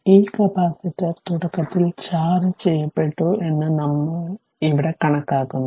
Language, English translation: Malayalam, But, we assume that this capacitor initially was charge at v 0